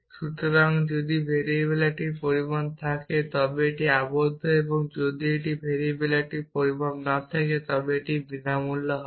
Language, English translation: Bengali, So, if variable has a quantify then it is bound and if a variable does not have a quantify then it is free